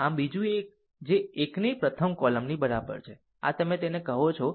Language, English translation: Gujarati, So, second one j is equal to 1 first column and this one will ah your what you call it will go